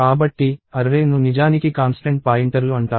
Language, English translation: Telugu, So, arrays are what are actually called constant pointers